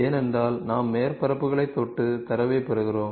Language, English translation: Tamil, Because we touch surfaces and we get the data